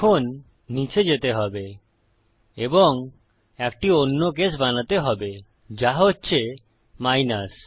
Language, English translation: Bengali, Now we need to go down and create another case, which is minus